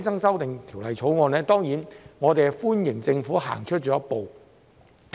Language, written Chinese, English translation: Cantonese, 就《條例草案》，我們當然歡迎政府走出了一步。, Regarding the Bill we certainly welcome the Government taking one step forward